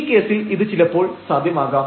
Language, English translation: Malayalam, So, in this case perhaps it is possible